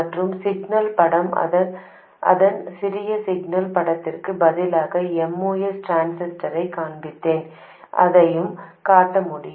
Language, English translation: Tamil, And the signal picture I will show a Moss transistor instead of its small signal picture, I could also show that